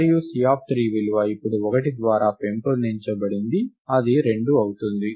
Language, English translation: Telugu, And the value C of 3 is incremented by 1 now, which becomes 2